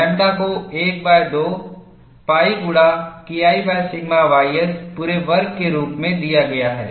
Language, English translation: Hindi, Hence, lambda becomes 1 by 18 pi, K 1 by sigma ys whole squared